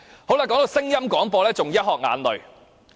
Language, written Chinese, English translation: Cantonese, 談到聲音廣播，更是"一殼眼淚"。, Speaking of audio broadcasting one cannot help but be reduced to tears